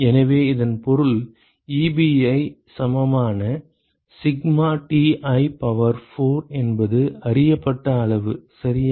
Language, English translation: Tamil, So this means Ebi equal to sigma Ti to the power of 4 is a known quantity right